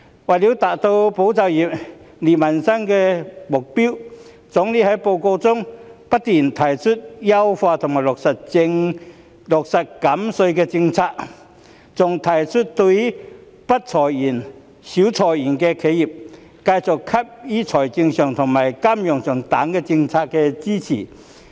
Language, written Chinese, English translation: Cantonese, 為了達到"保就業"、利民生的目標，總理在報告中不斷提出優化和落實減稅的政策，更提出要對不裁員、少裁員的企業，繼續給予財政上和金融上等政策支持。, To achieve the goal of safeguarding jobs and benefiting peoples livelihood the Premier has repeatedly proposed in his report to enhance and implement the policy of tax reduction . He has also proposed to continue to provide support in fiscal and monetary policies for enterprises which do not or seldom lay off employees